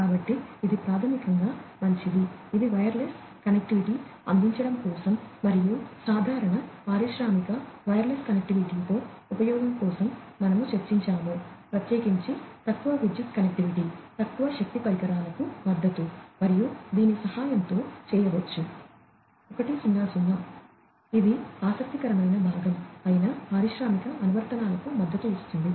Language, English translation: Telugu, So, that is basically well is that is for providing wireless connectivity and, that is what we discussed for use with general you know industrial wireless connectivity, particularly, low power connectivity, support for low power devices, and so on that can be done with the help of this is a 100, and it supports industrial applications that is the interesting part of it